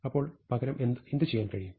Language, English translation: Malayalam, So, what can we do instead